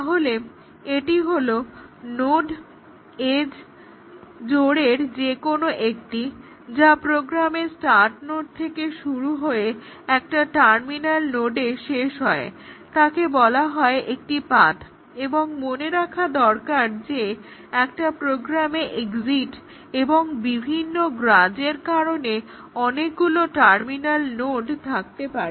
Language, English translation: Bengali, So, this is any sequence of node edge pairs starting from the start node to a terminal node in the program is called as a path and also remember that there may be several terminal nodes in a program due to exit and such grudges